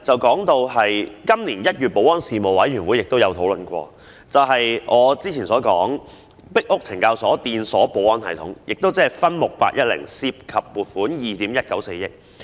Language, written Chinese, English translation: Cantonese, 今年1月，保安事務委員會亦曾討論閉路電視系統，即我之前所說的"壁屋懲教所裝置電鎖保安系統"，項目 810， 涉及撥款2億 1,940 萬元。, In January this year the Panel on Security discussed the CCTV system ie . item 810 Installation of electric locks security system in Pik Uk Correctional Institution mentioned by me just now involving a financial provision of 219.4 million